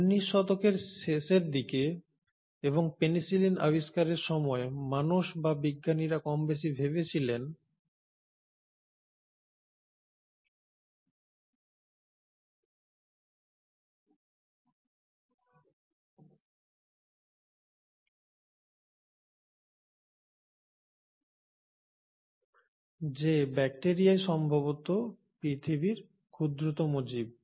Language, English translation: Bengali, Now by the end of 19thcentury and thanks the discovery of penicillin, more or less people or scientists thought that bacteria are the smallest possible organisms on Earth